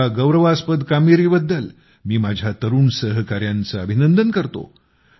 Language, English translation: Marathi, I congratulate my young colleagues for this wonderful achievement